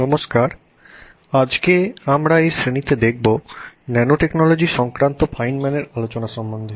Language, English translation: Bengali, Hello, we will now look at this class today on discussion on fine man's talk on nanotechnology